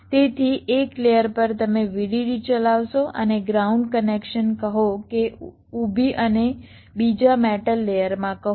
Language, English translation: Gujarati, so on one layer you will be running the vdd and ground connection, say vertically, and, and in another metal layer